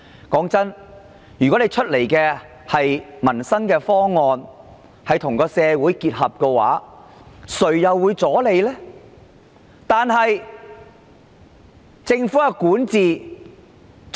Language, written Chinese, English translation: Cantonese, 老實說，如果推出的民生方案能夠與社會結合，誰人會阻撓？, Honestly if the livelihood proposals introduced could integrate with society who would raise objection?